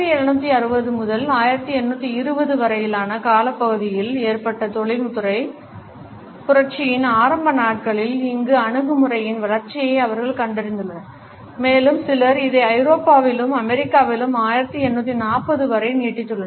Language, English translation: Tamil, He has traced the development of this attitude to the early days of industrial revolution which had occurred during 1760 to 1820 and some people a stretch it to 1840 also in Europe and the USA